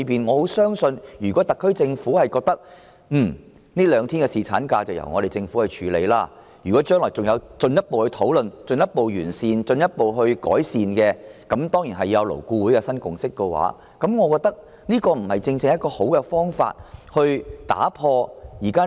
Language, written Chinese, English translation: Cantonese, 我相信屆時如果特區政府認為這兩天侍產假的開支會由政府承擔，又或是將來經進一步討論後完善政策，當然還要勞顧會取得新共識，這便正是解決問題的最好方法。, I believe by then if the SAR Government considers that it will fund the expenditures arising from the two extra days of leave or if the policy is refined after further discussions in the future and with a new consensus reached by LAB the problem will be solved in the most effective way